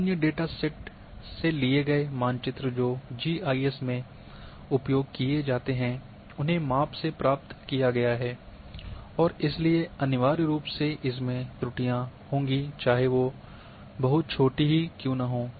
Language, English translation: Hindi, Maps in other datasets which are used in GIS are obtained by measurements and therefore, inevitably contain errors no matter how small